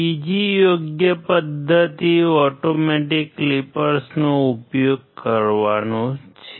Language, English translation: Gujarati, Another right method is the use of automatic clippers